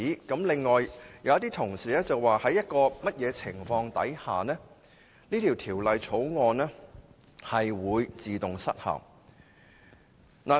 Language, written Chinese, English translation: Cantonese, 此外，有議員提出在某情況下，《條例草案》會自動失效。, Also some Members proposed that the Bill shall expire automatically under certain circumstances